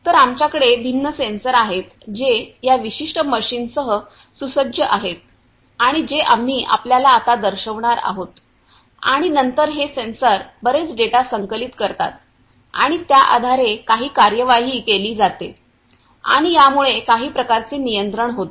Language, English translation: Marathi, So, we have different sensors that are equipped with this particular machine that we are going to show you now and then these sensors they collect lot of data and based on that there is some actuation that is performed and also consequently some kind of control